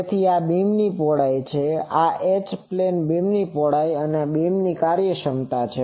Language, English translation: Gujarati, So, this is the beam width, H plane beam width, this is beam efficiency etc